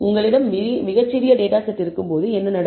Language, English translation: Tamil, All this is good if you have a large data set